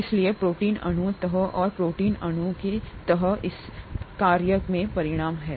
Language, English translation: Hindi, Therefore the protein molecule folds and the folding of the protein molecule is what results in its function